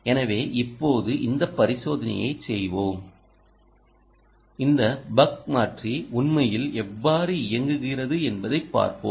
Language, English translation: Tamil, so now lets do this experiment and see a how nicely this ah buck converter is actually working